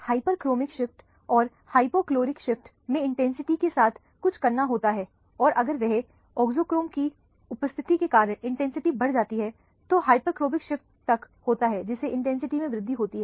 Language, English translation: Hindi, Hyperchromic shift and hypochromic shift has something to do with the intensity and if the intensity increases because of the presence of an auxochrome then the auxochrome is upto have a hyperchromic shift with the increase in the intensity